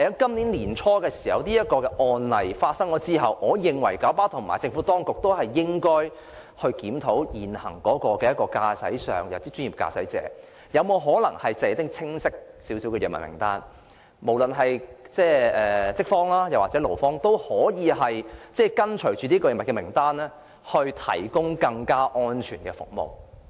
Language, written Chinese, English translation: Cantonese, 在年初發生這宗案例之後，我認為九巴和政府當局應該進行檢討，研究可否為專業駕駛者訂出比較清晰的藥物名單，令無論是資方或勞方也可按照名單行事，以提供更安全的服務。, After this accident that occurred early this year I think KMB and the Administration should conduct a review and look into whether a clear list of drugs can be drawn up for professional drivers so that the management or the employees can act in accordance with this list to provide safer services